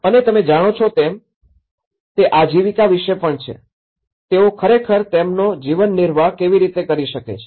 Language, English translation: Gujarati, And there is also about the livelihood you know, how they can actually get their livelihood aspects of it